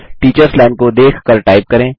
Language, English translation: Hindi, Type by looking at the Teachers Line